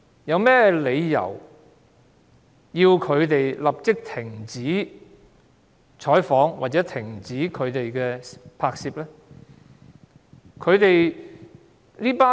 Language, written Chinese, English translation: Cantonese, 有何理由要他們立即停止採訪或停止拍攝呢？, What was the reason for demanding the reporters to stop reporting and filming immediately?